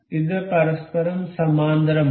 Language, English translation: Malayalam, This is parallel to each other